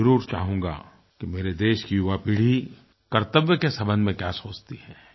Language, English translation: Hindi, I would like to know what my young generation thinks about their duties